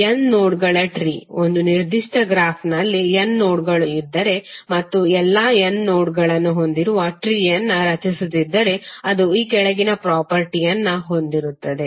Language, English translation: Kannada, Tree of n nodes, suppose if there are n nodes in a particular graph and we are creating tree containing all the n nodes then it will have the following property